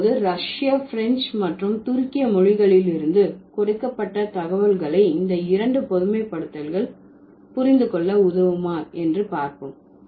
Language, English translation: Tamil, So now let's see if the data that has been given from Russian, French and Turkish can help us to understand these two generalizations